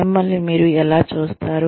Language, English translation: Telugu, How do you see yourself